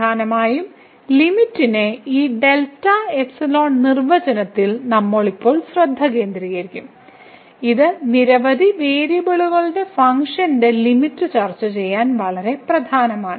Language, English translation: Malayalam, And mainly, we will now focus on this delta epsilon definition of the limit which is very important to discuss the limit for the functions of several variable